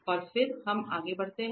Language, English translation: Hindi, And then let us move further